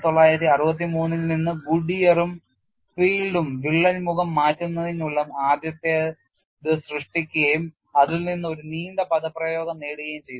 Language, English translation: Malayalam, From that Goodier and Field in 1963 where the first to work out the crack face displacements, and from which obtained a long expression